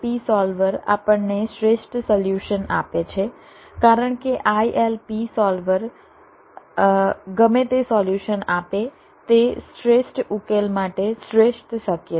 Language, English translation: Gujarati, the ilp solver will provide us with the optimum solution, because ilp solver, whatever solution it gives, it, is the best possible for the optimum solution